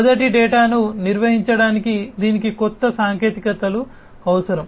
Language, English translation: Telugu, It needs new technologies to manage first data